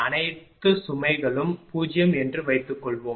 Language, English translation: Tamil, Suppose all load load is 0